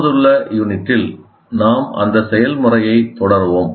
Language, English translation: Tamil, Now in the present unit, we'll continue with the process